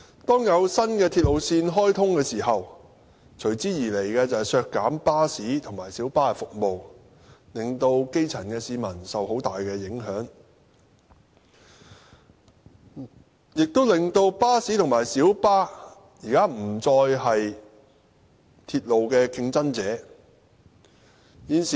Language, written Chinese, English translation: Cantonese, 當有新鐵路線開通時，隨之而來的，就是削減巴士和小巴服務，令基層市民受很大影響，亦令巴士和小巴現在不再是鐵路的競爭者。, Whenever there is a new railway line reductions in bus and minibus services will follow posing much impact on the lives of the grass roots . Under such a practice buses and minibuses are no longer competitors of rail transport